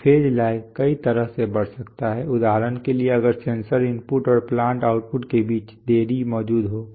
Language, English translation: Hindi, So phase lag can increase in many ways for example if the delay between the sensor input and the plant output exists